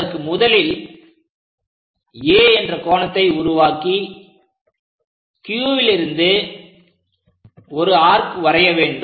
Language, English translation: Tamil, For that purpose, what we do is; first of all make an angle A, from there try to make an arc from the Q